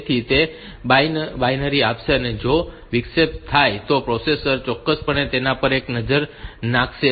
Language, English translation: Gujarati, So, that it will guarantee that if the interrupt occurs the processor will definitely have a look into that